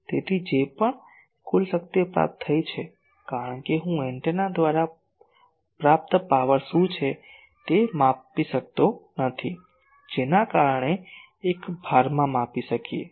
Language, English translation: Gujarati, So, whatever total power received, because I cannot measure what is the power received by the antenna, that we can measure across a load